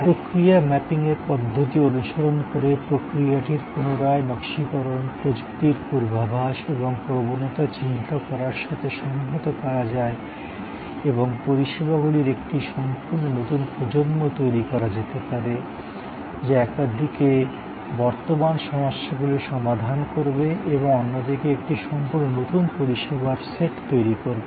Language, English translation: Bengali, The process redesign by the method of process mapping can be then integrated with also technology forecasting and trends spotting and a complete new generation of services can then be created, which on one hand will address the current problems and on the other hand, it will create a complete new set